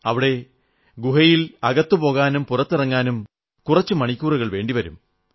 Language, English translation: Malayalam, Usually it takes a few hours to enter and exit that cave